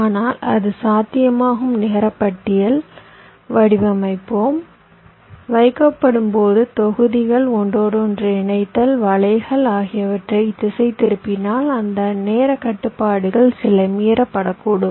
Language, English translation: Tamil, but it is possible that when we have design, the net list, when we are placed, routed, the blocks, the interconnection, the nets, then it may so happen that some of those timing constraints might get violated